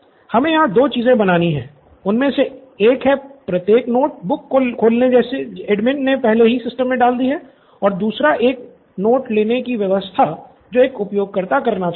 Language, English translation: Hindi, Two things we’ll have to create here, one is the opening each notebook what the admin has already put up into this and two is the new notetaking what a user would want to do